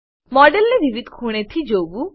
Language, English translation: Gujarati, View the model from various angles